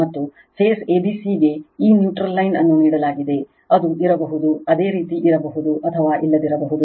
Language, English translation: Kannada, And phase a b c is given this neutral dash line is given, it may be there may not be there you right may be there or may not be there